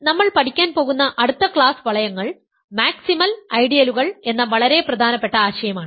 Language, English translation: Malayalam, So, the next class of rings that I am going to study; so, ideals that I am going to study is the very important notion of maximal ideals